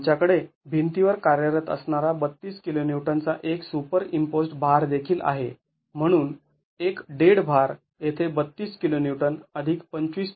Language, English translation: Marathi, We also have a superimposed load acting on the wall 32 kiloons, therefore the total dead load is 32 plus 25